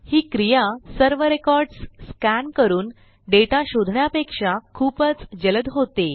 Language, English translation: Marathi, And so it is considerably faster than scanning through all of the records to find the data